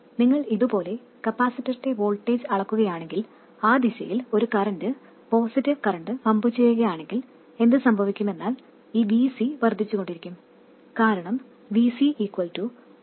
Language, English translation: Malayalam, If you are measuring the voltage of the capacitor like this and if you pump a current, positive current in that direction, what happens is this VC will go on increasing